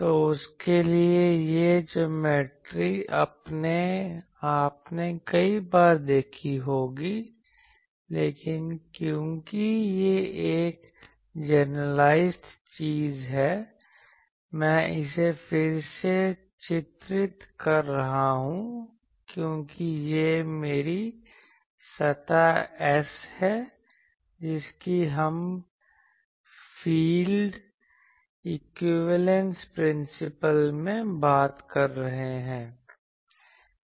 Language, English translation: Hindi, So, for that these geometry you have seen many times; but since it is a generalized thing, I am redrawing it that this is my surface S which we are talking in the field equivalence principle